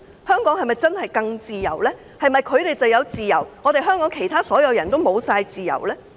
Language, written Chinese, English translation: Cantonese, 香港是否真的會更自由？是否他們有自由，但香港所有其他人都沒有自由？, Does it mean that they can enjoy freedom while all the other people in Hong Kong cannot?